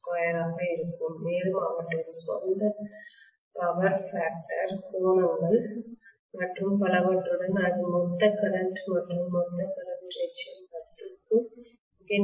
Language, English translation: Tamil, 2 square along with their own power factor angles and so on and so forth that is what will be the total current and the total current definitely will be very very close to 10